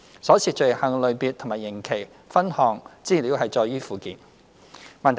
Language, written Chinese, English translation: Cantonese, 所涉罪行類別及刑期的分項資料載於附件。, The breakdown of the offences and sentences concerned is listed in the Annex